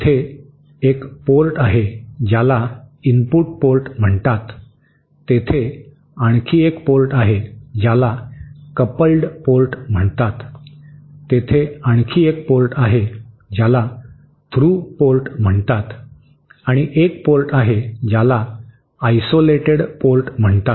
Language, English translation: Marathi, There is one port which is called the input port there is another port which is called the coupled port, there is another which is called the through port and one which is called the isolated port